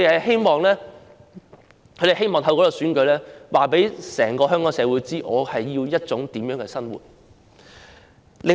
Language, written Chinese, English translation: Cantonese, 他們希望透過這次選舉告訴整個香港社會，自己需要一種怎樣的生活。, They wish to tell the entire society of Hong Kong what kind of living they need through this election